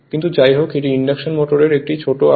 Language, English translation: Bengali, But anyways this is induction motor is a smaller size